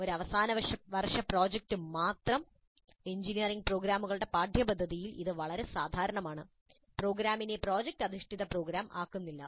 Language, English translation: Malayalam, A final year project alone that is quite common in the curricula of engineering programs, but that alone does not make the program as project based program